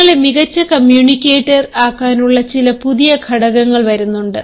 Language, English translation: Malayalam, then comes the certain factors that can make you a better communicator